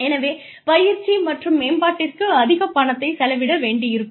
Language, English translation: Tamil, So, you may need to spend a lot of money, on training and development